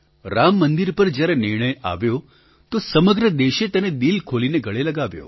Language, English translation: Gujarati, When the verdict on Ram Mandir was pronounced, the entire country embraced it with open arms